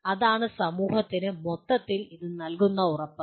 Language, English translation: Malayalam, That is what it assures the society at large